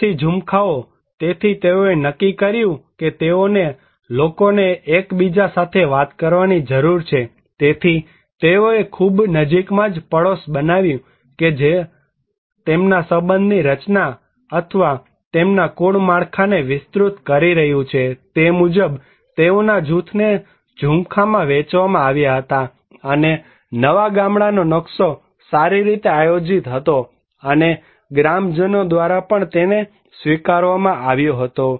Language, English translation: Gujarati, Neighborhood clusters; so they decided that they need to the people should interact with each other, so they made a very close neighborhood that is extending their kinship structure or their clan structure and accordingly, they were given divided the group into a cluster, and new village layout was well planned and also accepted by the villagers